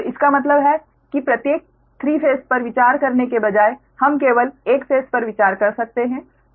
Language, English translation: Hindi, instead of considering all the three phases, we can consider only one phase